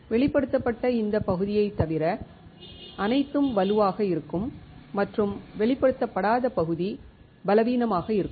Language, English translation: Tamil, Everything except this area which is exposed will be strong and the area which is not exposed will be weak